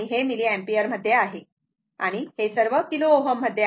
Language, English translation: Marathi, This is milliampere and all are kilo ohm